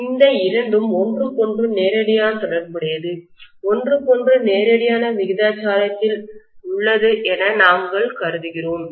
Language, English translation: Tamil, The two are directly related to each other, directly proportional to each other, we are assuming that